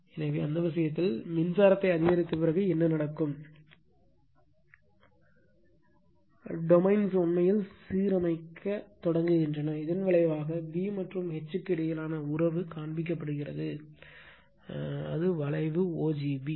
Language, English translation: Tamil, So, in that case, what will happen after going on increasing the current right, the domains actually begins to align and the resulting relationship between B and H is shown by the curve o g b right